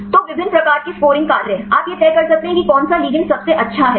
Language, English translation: Hindi, So, different types of scoring functions you can decide which ligand is the best